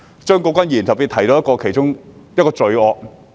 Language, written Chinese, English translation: Cantonese, 張國鈞議員剛才特別提到一種罪惡。, Just now Mr CHEUNG Kwok - kwan mentioned a type of sin in particular